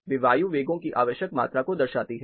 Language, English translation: Hindi, They represent the required amount of air velocities